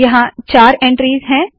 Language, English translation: Hindi, So there are four entries